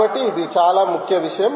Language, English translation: Telugu, this is a very important point